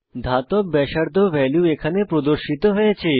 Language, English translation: Bengali, Metallic radii value is shown here